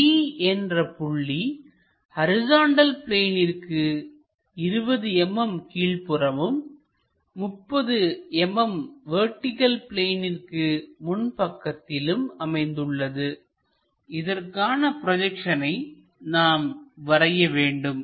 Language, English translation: Tamil, A point D is 20 mm below horizontal plane and 30 mm in front of vertical plane draw its projections